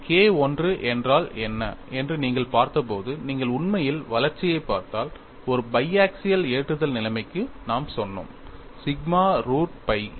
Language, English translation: Tamil, If you really look at the development when you looked at what is K 1, we set for a biaxial loading situations sigma root by a